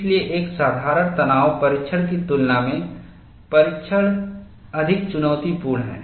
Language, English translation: Hindi, That is why, the test is more challenging than in the case of a simple tension test